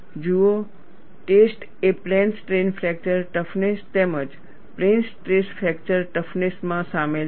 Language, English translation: Gujarati, See, the testing is so involved in plane strain fracture toughness, as well as plane stress fracture toughness